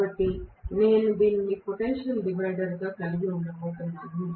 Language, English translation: Telugu, So, I am going to have this as a potential divider